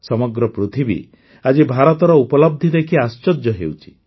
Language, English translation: Odia, The whole world, today, is surprised to see the achievements of India